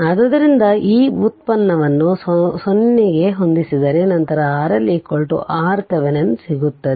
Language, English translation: Kannada, So, if you take the derivative set it to 0 then you will get R L is equal to R Thevenin right